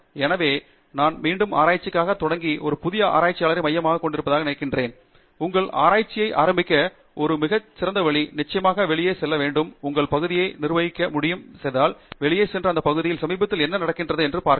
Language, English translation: Tamil, So, I think again we have been focusing on a new researcher who is beginning to do research, and one very good way to start your research, of course, is to go out and once you fix the area and area is decided, go out and see what is latest happening in that area